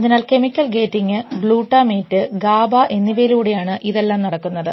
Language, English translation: Malayalam, So, all this is mediated through chemical gating, glutamate and gaba which is the inhibitory part